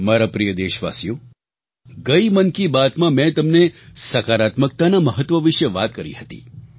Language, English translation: Gujarati, My dear countrymen, I had talked about positivity during the previous episode of Mann Ki Baat